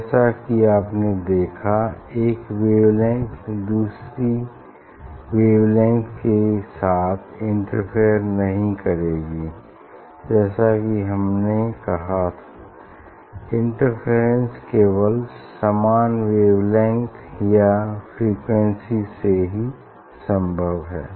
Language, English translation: Hindi, you can see for one wavelength will not interfere with another wavelength because as I as we told this interference only possible of same frequency and wavelength